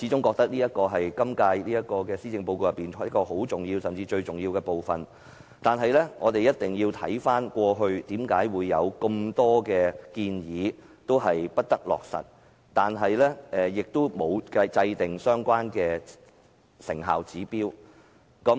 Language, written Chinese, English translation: Cantonese, 我認為這是施政報告最重要的部分，但我們必須回顧，為何過往有很多建議未能落實，政府也沒有制訂相關的成效指標？, I think this is the most important part of the Policy Address . Yet we must review why many proposals failed to be implemented in the past and why the Government had not set the relevant performance targets